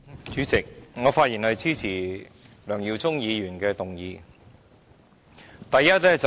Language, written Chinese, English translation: Cantonese, 主席，我發言支持梁耀忠議員的議案。, President I rise to speak in support of Mr LEUNG Yiu - chungs motion